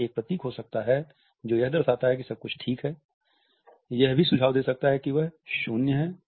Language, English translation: Hindi, It can be symbol which denotes that everything is all right, it may also suggest that it is zero